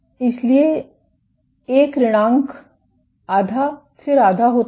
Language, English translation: Hindi, So, 1 minus half becomes half